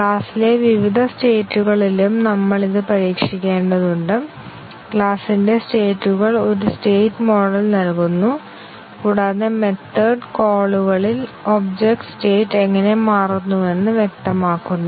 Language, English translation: Malayalam, We have to also test it in different states of the class, the states of the class is given by a state model and which specifies how the object state changes upon method calls